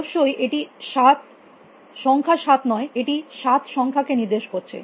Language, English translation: Bengali, Of course, it is not the number 7, it just stands for the number 7